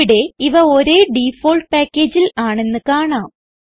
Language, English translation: Malayalam, We can see that here they are in the same default package